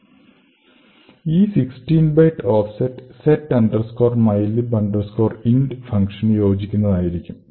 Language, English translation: Malayalam, So, this particular offset corresponds to a function setmylib int